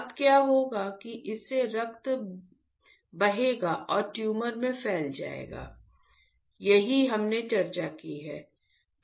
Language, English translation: Hindi, Now what will happen that the blood will flow through this and it will diffuse into the tumor , that is what we have discussed